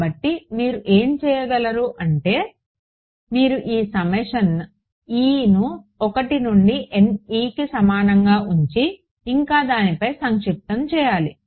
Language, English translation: Telugu, So, what you could do is, you could write this as keep this summation e is equal to 1 to N e and sum over what